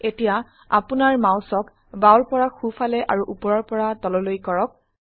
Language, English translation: Assamese, Now move your mouse left to right and up and down